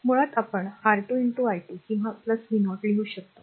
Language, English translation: Marathi, So, basically we can write either 2 into i 2 or plus v 0